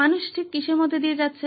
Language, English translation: Bengali, What exactly are people going through